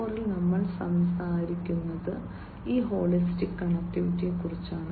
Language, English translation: Malayalam, 0, we are talking about this holistic connectivity